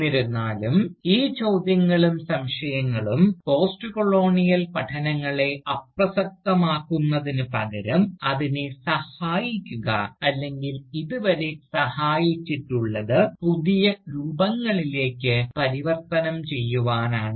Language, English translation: Malayalam, Yet, these questions and doubts, rather than making Postcolonial studies irrelevant, merely help it, or has helped it so far, to mutate into newer forms